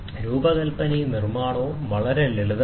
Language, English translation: Malayalam, The design and construction is very quite simple